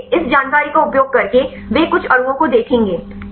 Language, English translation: Hindi, So, using this information they will see some molecules